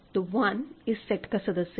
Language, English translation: Hindi, So, the set is this